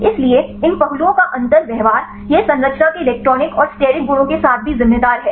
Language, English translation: Hindi, So, differential behavior of these aspects, it also attributed with the electronic and steric properties of the structure